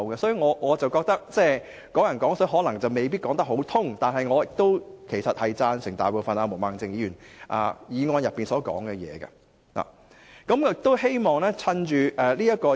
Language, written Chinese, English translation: Cantonese, 所以，我覺得"港人港水"可能未必能說得通，但我其實贊成毛孟靜議員所提議案的大部分內容。, Therefore I think it may not be proper to say Hong Kong people using Hong Kong water although I truly agree with most part of the motion moved by Ms Claudia MO